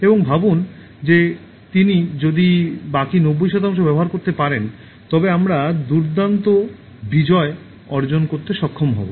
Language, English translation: Bengali, And imagine if he can make use of the remaining ninety percent, we will be able to achieve great feats